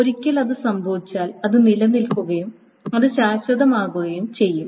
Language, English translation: Malayalam, Once it happens, it remains, it is permanent